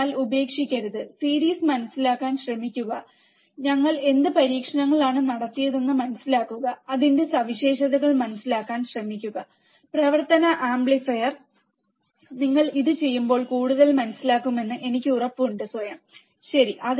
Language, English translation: Malayalam, So, do not give up, try to understand the series, try to understand what experiments we have done, try to understand the characteristics of the operational amplifier, and I am sure that you will understand more when you do it by yourself, alright